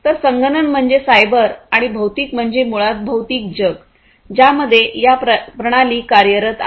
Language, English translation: Marathi, So, computational is the cyber one and physical is basically the physical world in which these systems are operating, physical world